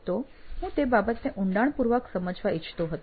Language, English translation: Gujarati, So I just wanted to get to the bottom of it